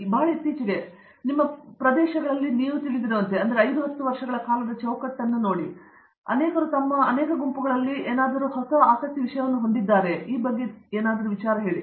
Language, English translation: Kannada, What would constitute like you know areas which have sort of come upon you very recently that well, it may be say let’s say the 5 10 years time frame that many may be in their many groups interested in looking at